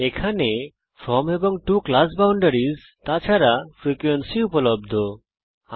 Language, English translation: Bengali, the From and to class boundaries and frequency is available here